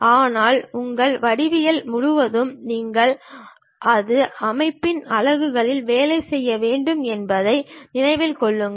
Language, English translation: Tamil, But throughout your geometry remember that you have to work on one system of units